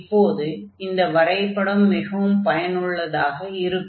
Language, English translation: Tamil, So, this figure will be very helpful now